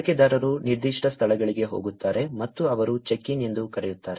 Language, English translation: Kannada, Users go to specific locations and they do something called as check in